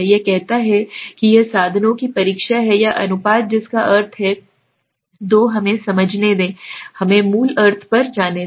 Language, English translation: Hindi, It says it is the test of means or proportions that means what, two let us understand, let us go to the basic meaning